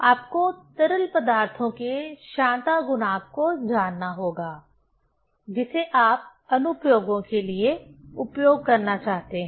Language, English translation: Hindi, One has to know the viscosity coefficient of liquids, which you want to use for applications